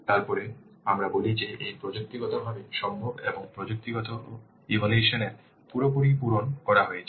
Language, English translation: Bengali, Then we say that it is technically feasible and the technical assessment has been perfectly made